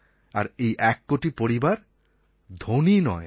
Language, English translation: Bengali, These one crore are not wealthy families